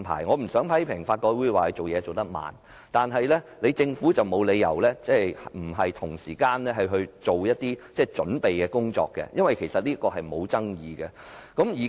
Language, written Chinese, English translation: Cantonese, 我不想批評法改會進度緩慢，但政府沒有理由不同時進行準備工夫，因為立法是沒有爭議的。, I do not want to criticize LRC for the slow progress but there is no reason why the Government does not proceed with preparation work concurrently since there is no dispute over the enactment of the legislation